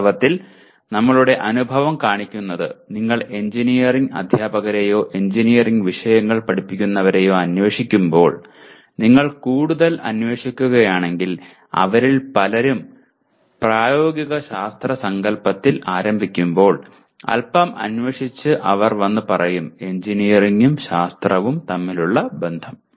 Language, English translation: Malayalam, And actually our experience shows when you probe engineering teachers or those who are teaching engineering subjects, if you probe them further while many of them start with the concept of applied science with a little probing they will come and say yes this is what the relationship between engineering and science